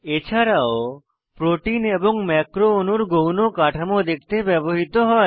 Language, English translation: Bengali, And also * Used to view secondary structures of proteins and macromolecules